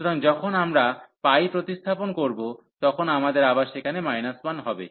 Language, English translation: Bengali, So, when we substitute pi, we will have again minus 1 there